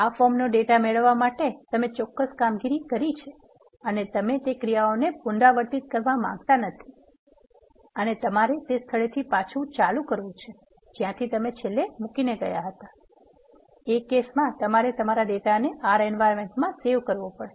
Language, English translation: Gujarati, The reason being you would have done certain operations to get the data to this form and you do not want to repeat those actions and you need to start from the point where you want to leave now, in that cases you need to save the data from the R environment when you want to do that